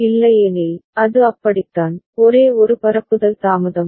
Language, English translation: Tamil, Otherwise, it is like that, only one propagation delay